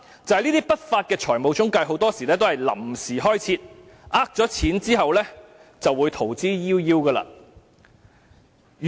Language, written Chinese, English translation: Cantonese, 第三，不法的財務中介很多時候是臨時開設，騙得金錢後便會逃之夭夭。, Third unscrupulous financial intermediaries are often set up temporarily which will then get away with it after successfully defrauding money